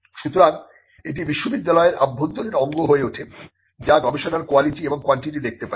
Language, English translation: Bengali, So, this becomes an internal organ within the university which can look at the quality and the quantity of research